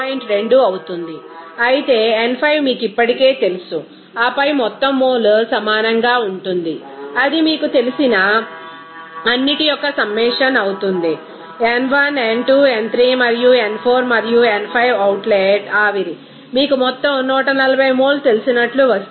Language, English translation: Telugu, 2 whereas n 5 is already known to you and then total mole will be is equal to see that will be summation of all the you know in n1 n2 n3 and n 4 and n 5 in the outlet steam, it will be coming as you know total amount 140 mole